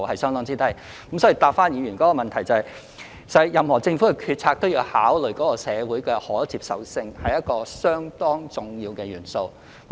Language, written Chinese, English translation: Cantonese, 所以，讓我答覆議員的補充質詢，任何政府的決策都要考慮社會的可接受性，這是一個相當重要的元素。, Now let me answer the Members supplementary question . Any government decision has to take into account social acceptability which is a very important element